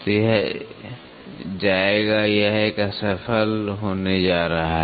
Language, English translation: Hindi, So, it will go it is going to a fail